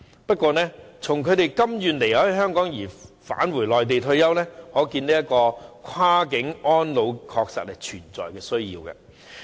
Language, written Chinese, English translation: Cantonese, 不過，從他們甘願離開香港返回內地退休的情況可見，跨境安老安排確實有存在的需要。, But their willingness to leave Hong Kong and spend their retirement life on the Mainland shows that cross - boundary elderly care arrangements are honestly necessary